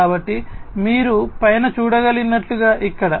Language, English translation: Telugu, So, over here as you can see on the top, right